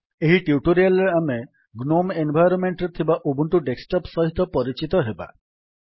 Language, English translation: Odia, Using this tutorial, we will get familiar with the Ubuntu Desktop on the gnome environment